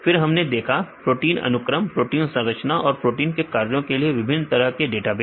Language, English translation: Hindi, Then we see the different types of databases for protein sequence, protein structure and protein function